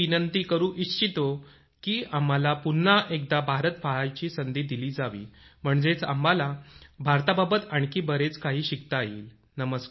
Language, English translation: Marathi, I request that we be given the opportunity to visit India, once again so that we can learn more about India